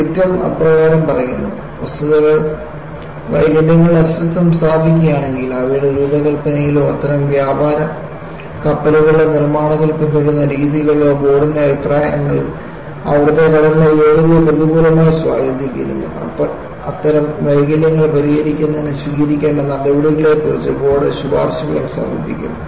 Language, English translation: Malayalam, And the dictum reads like this, ‘if the fax establish the existence of defects, in their designs of or in the methods being followed in the construction of such merchant vessels, which in the opinion of the board adversely affect the sea worthiness there off; the board will also submit its recommendations, as to the measures which should be taken to correct such defects’